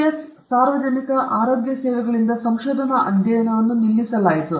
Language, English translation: Kannada, The research study was stopped by the US public health services